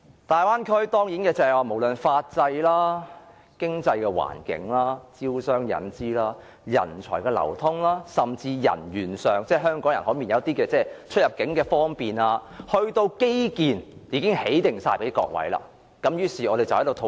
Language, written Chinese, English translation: Cantonese, 大灣區無論在法制、經濟環境、招商引資、人才流通甚至是人員流通，以至基建等方面，都已經為各位準備妥當，供我們討論。, Everything in the Bay area from the system of law the economic environment the way business and capital are attracted to the flow of talents and people or even infrastructures are all made ready for our discussion